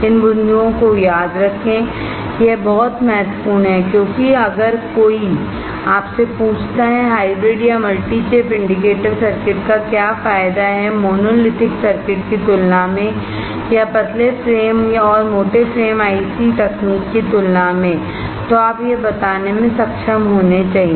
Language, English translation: Hindi, Remember these points, it is very important because if somebody ask you, what are the advantaged of hybrid or multi chip indicator circuits over monolithic or over thin frame and thick frame IC technology, you must be able to tell it